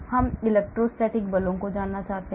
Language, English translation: Hindi, so I want to know the electrostatic forces